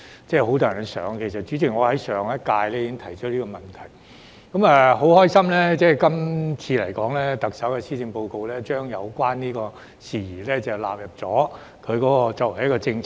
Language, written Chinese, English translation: Cantonese, 主席，其實我在上屆立法會已經提出這問題，我很高興特首今年的施政報告將有關事宜納入為一項政策。, President as a matter of fact I had already raised this issue in the previous term of the Legislative Council . I am very glad that the Chief Executive has included the relevant issue as a policy in this years Policy Address